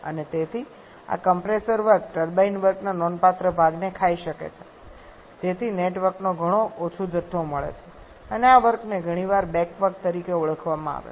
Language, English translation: Gujarati, And therefore the this compressor work can eat up a significant portion of the turbine work thereby giving a much lesser amount of network and this work is often referred to as a back work